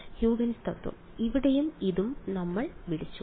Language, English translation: Malayalam, Huygens principle ok, similarly for here and this one we called